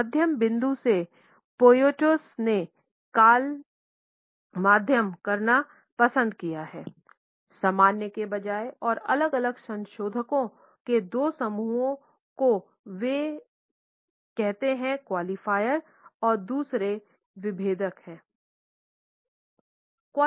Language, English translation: Hindi, From a middle point Poyatos has prefer to call medium rather than normal and distinguishes two groups of modifiers they are qualifiers and